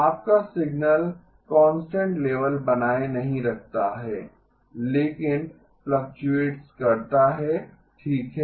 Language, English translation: Hindi, Your signal does not maintain a constant level, but fluctuates okay